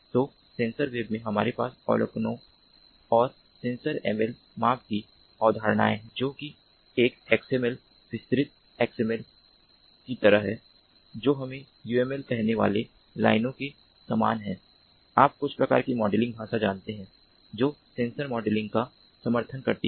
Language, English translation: Hindi, so in sensor web we have concepts of observations and measurements, sensor ml, which is sort of like an xml extended xml, ah, ah, a very similar in lines with ah, let us say uml, you know some kind of a modeling language that supports sensor modeling